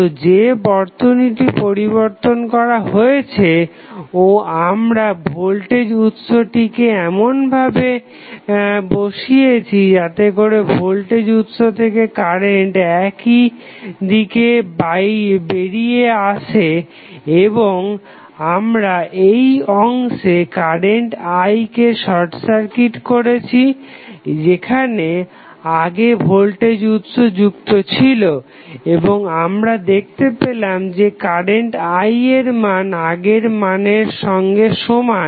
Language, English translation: Bengali, So, the circuit which is modified and we place the voltage source in such a way that it is the current coming out of the voltage sources in the same direction and we short circuit the current I these segment where the voltage source was connected and we found that the value of I is same as it was there in the previous case